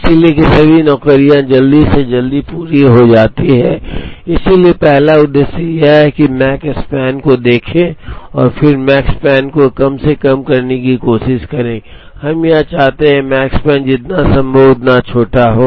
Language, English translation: Hindi, So, that all the jobs are completed at the earliest, so the first objective is to do is to is to look at the Makespan and then try to minimize the Makespan, we want to have the Makespan as small as possible